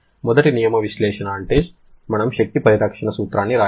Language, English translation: Telugu, First law analysis means we have to write an energy conservation principle